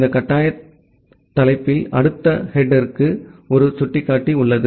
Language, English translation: Tamil, In this mandatory header you have a pointer to the next header